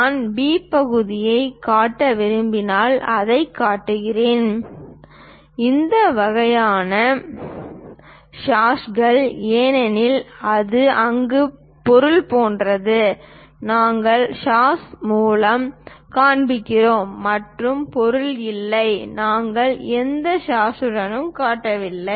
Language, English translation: Tamil, If I want to show B part, we show it by this kind of hashes because it is something like material is available there, we are showing by hash and material is not there so, we are not showing any hash